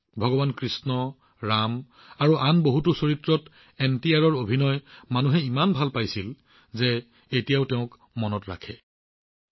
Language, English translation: Assamese, People liked NTR's acting in the roles of Bhagwan Krishna, Ram and many others, so much that they still remember him